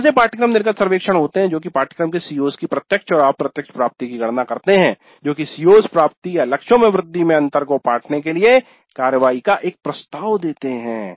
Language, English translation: Hindi, So there are course exit surveys, then computing the direct and indirect attainment of COs of the course, then proposing actions to bridge the gap in CO attainment or enhancement of the targets